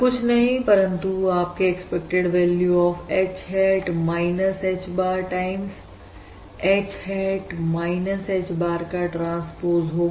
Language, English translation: Hindi, so basically, that is basically nothing but your expected value of H hat minus H bar times H hat minus H bar transpose